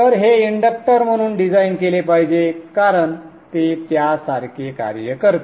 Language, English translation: Marathi, So this has to be designed as an inductor as it acts like one